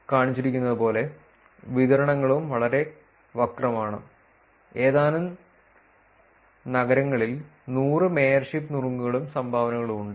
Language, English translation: Malayalam, As shown the distributions are also very skewed, with a few cities having as many as 100 mayorship tips and dones